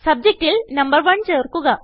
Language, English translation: Malayalam, Add the number 1 in the Subject